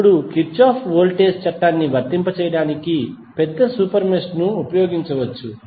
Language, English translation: Telugu, Now, larger super mesh can be used to apply Kirchhoff Voltage Law